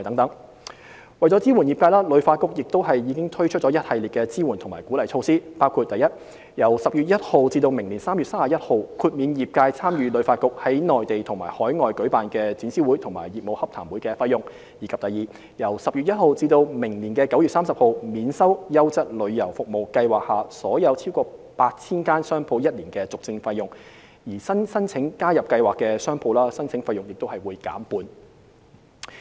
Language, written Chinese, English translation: Cantonese, ―為支援業界，旅發局已推出了一系列支援及鼓勵措施，包括： i 由10月1日起至明年3月31日，豁免業界參與旅發局在內地及海外舉辦的展銷會及業務洽談會的費用；及由10月1日至明年9月30日，免收"優質旅遊服務"計劃下所有逾 8,000 間商鋪1年的續證費用，而新申請加入計劃的商鋪，申請費用亦會減半。, - To support the travel trade HKTB has rolled out a series of relief and incentive measures including i From 1 October 2019 to 31 March 2020 HKTB has waived the participation fee for members of the travel trade to join trade fairs and travel missions organized by HKTB in the Mainland and overseas; and ii From 1 October 2019 to 30 September 2020 all merchants accredited under HKTBs Quality Tourism Services Scheme can have their full renewal fees waived for one year and new applicants to the Scheme can enjoy a 50 % reduction on the application fee